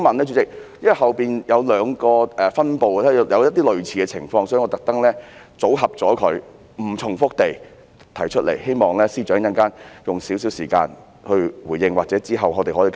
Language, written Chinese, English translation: Cantonese, 因為之後有兩個分部也出現了類似情況，所以我特意組合在一起，希望在不重複的情況下提出，也希望司長稍後會花一些時間回應我，或是之後可以作出跟進。, The reason is that a similar problem occurs in two other divisions I have deliberately grouped the problems together to avoid repetition . I also hope that the Secretary for Justice can spend some time to respond to my point or follow the matter up afterwards